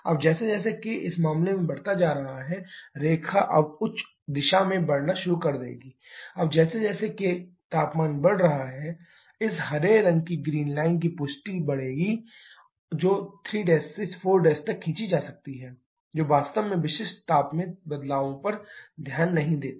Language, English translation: Hindi, Now as k is increasing in this case the line will now start moving in the higher direction, now as k is increasing temperature will increase this green line green confirmation that are drawn from 3 prime to 4 prime that actually does not take into consideration the changes specific heat